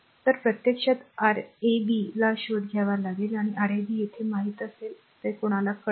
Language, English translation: Marathi, So, this actually you have to find Rab means these Rab here this you will be know this one you will know